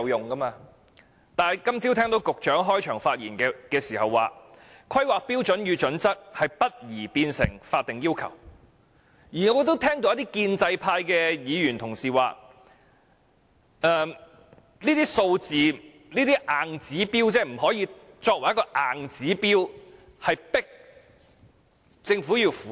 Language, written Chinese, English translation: Cantonese, 但是，我今早聽到局長在開場發言時表示，《規劃標準》不宜變成法定要求，而一些建制派議員亦提到，這些數字不可以作為硬指標，迫政府符合。, Nonetheless I heard the Secretary stating in his opening speech this morning that it was inappropriate for HKPSG to become statutory requirements . Some pro - establishment Members also said that the relevant figures should not become hard and fast targets which the Government must comply with